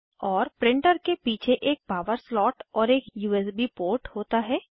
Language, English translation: Hindi, And there is a power slot and a USB port at the back of the printer